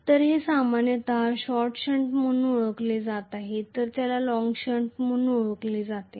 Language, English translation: Marathi, So this is generally known as short shunt whereas this is known as long shunt